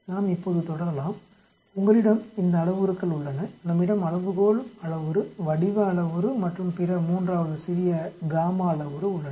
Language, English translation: Tamil, Now let us proceed, you have these parameters we have the scale parameter, the shape parameter and also the other third small gamma parameter